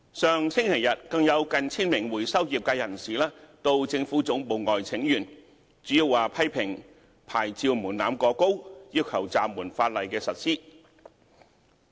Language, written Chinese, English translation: Cantonese, 上星期日，更有近 1,000 名回收業界人士到政府總部外請願，主要批評牌照門檻過高，要求暫緩法例實施。, Last Sunday nearly 1 000 recyclers made a petition outside the Central Government Offices . Criticizing mainly the exceedingly high licensing threshold they requested that the commencement of the legislation be deferred